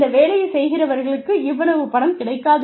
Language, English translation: Tamil, People doing this work, will not get, so much of money